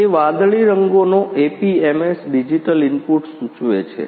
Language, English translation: Gujarati, That blue colours APMs indicates the digital input ah